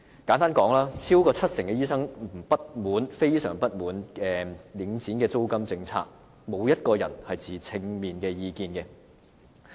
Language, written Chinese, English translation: Cantonese, 簡單而言，超過七成醫生非常不滿領展的租金政策，並無受訪者持正面意見。, Simply put more than 70 % of the medical practitioners were greatly dissatisfied with the rental policy of Link REIT; whereas no interviewees gave positive comments